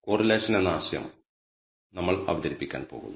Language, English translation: Malayalam, We are going to introduce the notion of correlation